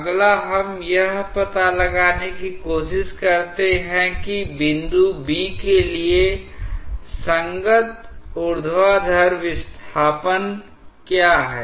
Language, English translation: Hindi, Next, we try to find out that what is the corresponding vertical displacement for the point B